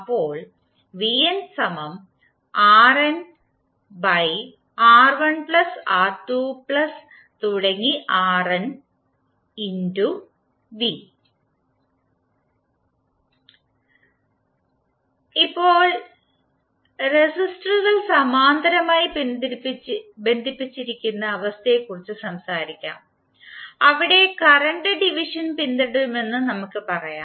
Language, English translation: Malayalam, Now, let us talk about the case where the resistors are connected in parallel, there we will say that the current division will be followed